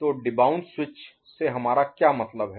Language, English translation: Hindi, So, what do we mean by debounce switch